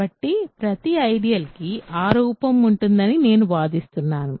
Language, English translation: Telugu, So, I claim that every ideal has that form